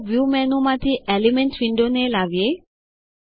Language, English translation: Gujarati, Let us bring up the Elements window from the View menu